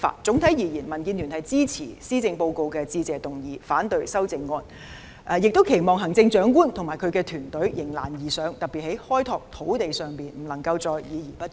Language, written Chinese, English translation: Cantonese, 總括而言，民建聯支持施政報告的致謝議案，反對修正案，亦期望行政長官及其團隊迎難而上，特別在開拓土地方面，不能再議而不決。, Overall DAB supports the Motion of Thanks on the Policy Address and will vote against the amendments . We also hope that the Chief Executive and her team will rise to challenges act quickly especially on resolving land issues and cease to hold discussions without making decisions